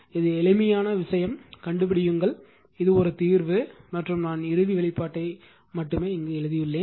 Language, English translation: Tamil, This is simple thing only thing is that this one you solve and find it out I have written the final expression right